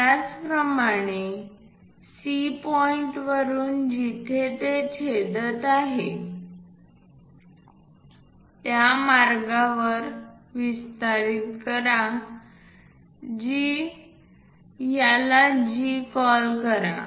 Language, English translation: Marathi, Similarly, from C point extend a line where it is going to intersect, call that one as G join H and G